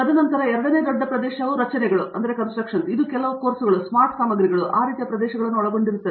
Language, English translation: Kannada, And then, the second large area is structures, which involves which also a course includes some materials, smart materials, those kinds of areas